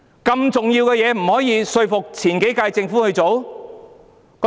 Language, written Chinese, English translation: Cantonese, 如此重要的事，為何不能說服前幾屆政府去做？, For such an important matter why did they not convince the previous terms of Government to do so?